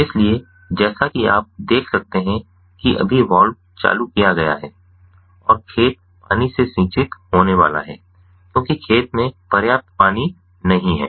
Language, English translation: Hindi, so, as you can see over here, the valve has been turned on just now and the field is going to be irrigated, ah with the water, because there is, no, i am not adequate water in the field